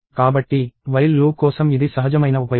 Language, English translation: Telugu, In such cases, the while loop is a natural choice